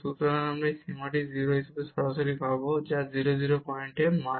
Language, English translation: Bengali, So, we will get this limit as 0 directly; which is the function value at 0 0 point